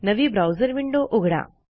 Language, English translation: Marathi, Open a new browser window